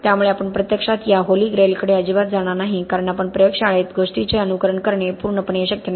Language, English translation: Marathi, So we are actually not really going to be getting towards that Holy Grail at all because that is absolutely not possible to simulate things in the laboratory